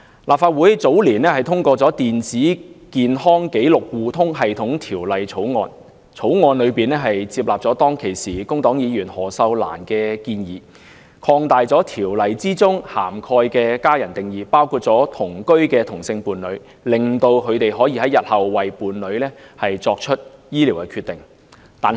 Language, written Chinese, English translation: Cantonese, 立法會早年通過《電子健康紀錄互通系統條例草案》，接納了當時工黨議員何秀蘭的建議，擴大條例中"家人"的定義，包括了同居的同性伴侶，使他們可在日後為其伴侶作出醫療決定。, The Legislative Council passed the Electronic Health Record Sharing System Bill years ago accepting the suggestion of the then Member Cyd HO from the Labour Party to broaden the definition of family members in the ordinance to cover cohabiting same - sex partners so that they can make medical decisions on behalf of their partners in future